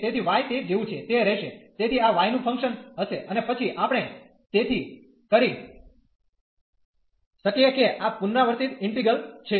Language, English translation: Gujarati, So, the y will remain as it is so this will be a function of y and then we can so this is a repeated integral